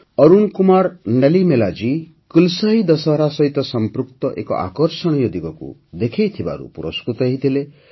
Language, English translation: Odia, Arun Kumar Nalimelaji was awarded for showing an attractive aspect related to 'KulasaiDussehra'